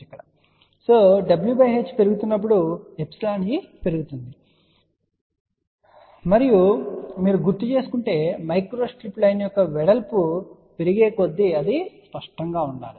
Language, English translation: Telugu, So, we can say safely as w by h increases epsilon e increases and that should be obvious in if you recall as the width of the micro strip line increases